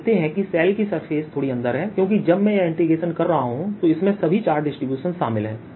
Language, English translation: Hindi, you see, the surface of the shell is slightly inside because when i am doing this integration it includes all the charge distribution